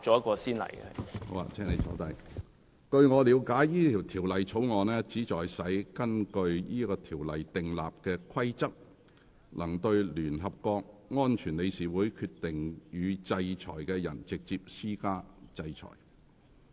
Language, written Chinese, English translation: Cantonese, 據我了解，該條例草案旨在使根據該條例訂立的規例，能對聯合國安全理事會決定予以制裁的人，直接施加制裁。, To my understanding the Bill seeks to enable regulations made under the United Nations Sanctions Ordinance to impose sanctions directly against persons whom the Security Council of the United Nations decides to sanction